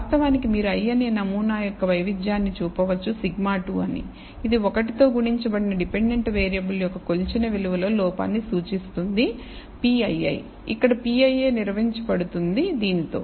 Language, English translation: Telugu, In fact, you can show that the variance of the i th sample is sigma squared which represents the error in the measured value of the dependent variable multiplied by 1 minus p ii; where p ii is defined by this